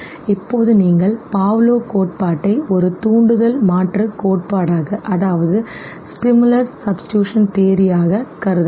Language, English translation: Tamil, Now you can consider Pavlov’s theory as a stimulus substitution theory okay, it can be construed